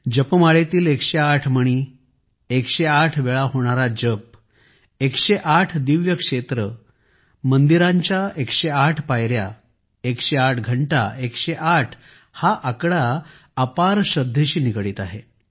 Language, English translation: Marathi, 108 beads in a rosary, chanting 108 times, 108 divine sites, 108 stairs in temples, 108 bells, this number 108 is associated with immense faith